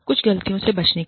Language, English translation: Hindi, Some mistakes to avoid